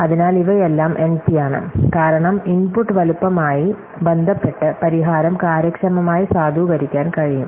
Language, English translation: Malayalam, So, these are all in NP, because the solution can be validated efficiently with respect to the input size